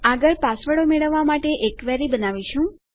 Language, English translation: Gujarati, Next we will create a query to get the passwords